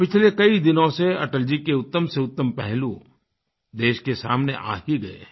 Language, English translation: Hindi, During these last days, many great aspects of Atalji came up to the fore